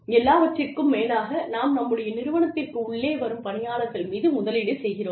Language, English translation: Tamil, After all, we are investing in human beings, who are coming to the organization